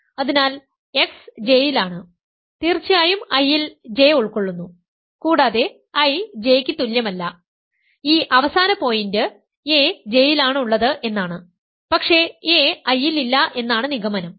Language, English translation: Malayalam, So, x is in J; certainly I contains J and also I not equal to J this last point is because a is in J, but a is not in I by hypothesis